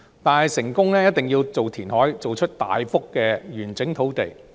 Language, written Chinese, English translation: Cantonese, 但是，要成功一定要填海，造出大幅完整的土地。, In order to achieve that it is necessary to create a large piece of land by reclamation